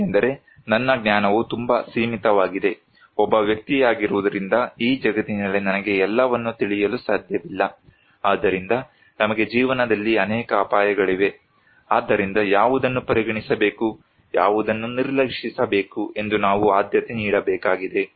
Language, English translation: Kannada, Because my knowledge is very limited and that should be, being an individual I cannot know everything in this world, so we have many risks at life so, we need to prioritize which one to consider, which one to ignore